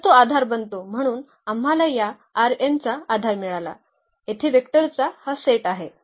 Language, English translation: Marathi, So, they form the basis so, we got a basis for this R n, this set of vectors here this forms a basis for R n